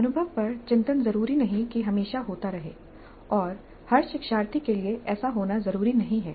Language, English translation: Hindi, Reflecting on the experience need not necessarily happen always and need not be the case for every learner